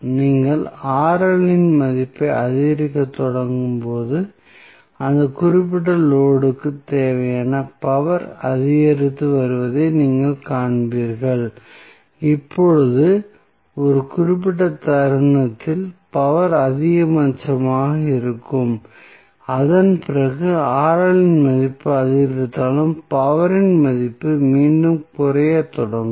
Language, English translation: Tamil, So, when you start increasing the value of Rl, you will see that power which is required for this particular load is increasing and now, at 1 particular instant the power would be maximum and after that the value of power will again start reducing even if the value of Rl is increasing